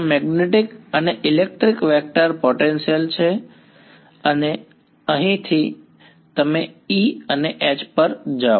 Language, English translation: Gujarati, These are magnetic and electric vector potentials and from here you go to E and H